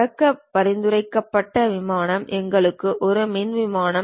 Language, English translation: Tamil, Recommended plane to begin is for us front plane